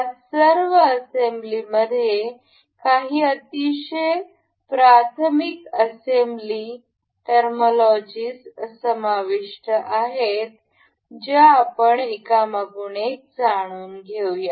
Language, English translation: Marathi, All these assembly includes some very elementary assembly terminologies that we will go through one by one